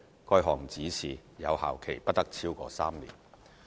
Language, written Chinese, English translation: Cantonese, 該項指示有效期不得超過3年。, No such direction however shall remain in force for a period longer than three years